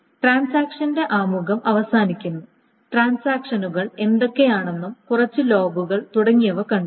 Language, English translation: Malayalam, So that ends the introduction of transactions and what transactions are and a little bit of logs, etc